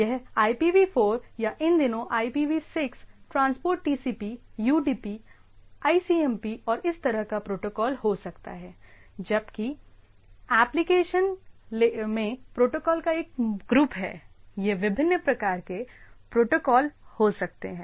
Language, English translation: Hindi, So, it can be IPv4 or these days IPv6 transport TCP, UDP, ICMP and this sort of protocol whereas application has a big bunch of protocols right, it can be variety of protocols